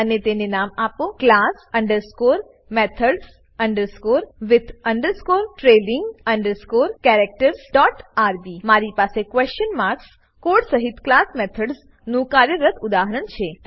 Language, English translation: Gujarati, And name it class underscore methods underscore with underscore trailing underscore characters dot rb I have a working example of class methods with question mark code